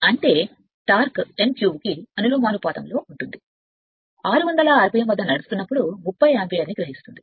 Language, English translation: Telugu, That means, torque is professional to n cube, while running at 600 rpm it takes 30 ampere